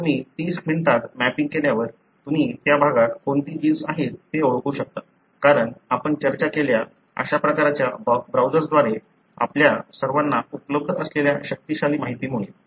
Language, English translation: Marathi, Once you have done a mapping in 30 minutes you can identify what are the genes that are present in that region, because of the powerful information that is available to all of us via such kind of browsers that we have discussed